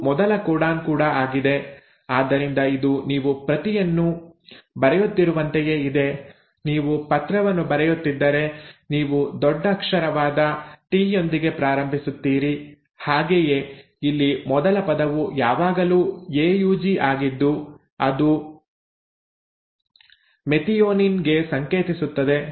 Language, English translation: Kannada, It is also the first codon so it is like you are writing a script, if you are writing on a letter and you start with a capital T for “the”, right, so the first word is always a AUG which codes for methionine